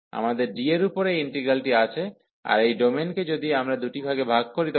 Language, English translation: Bengali, So, we have this integral over D and this domain if we break into two parts